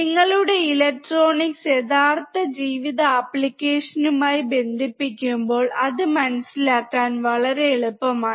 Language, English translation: Malayalam, When you connect your electronics with real life applications, it becomes extremely easy to understand